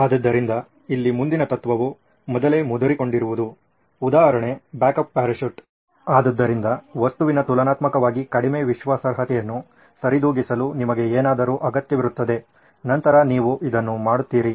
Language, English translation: Kannada, So in here the next principle is beforehand cushioning the example is a backup parachute, so you need something to compensate for the relatively low reliability of an object then you do this